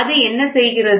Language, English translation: Tamil, And what it does